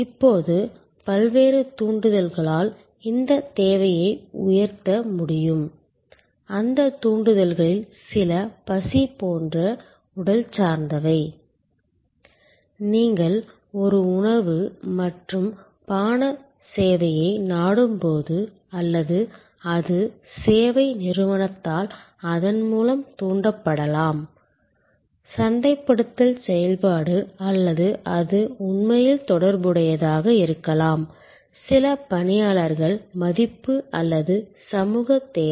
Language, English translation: Tamil, Now, this need can raised due to various triggers, some of those triggers are physical like hunger, when you seek a food and beverage service or it could be triggered by the service organization through it is marketing activity or it could be actually also related to certain personnel esteem or social need